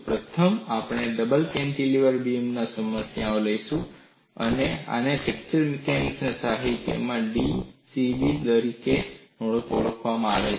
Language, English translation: Gujarati, First, we will take up the problem of a double cantilever beam, and this is also known as, in fracture mechanics literature, d c b specimen